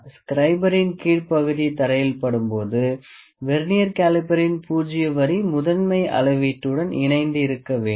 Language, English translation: Tamil, When the bottom of the scribe touches the ground the zero line of the Vernier caliper should coincide with the zero line of the main scale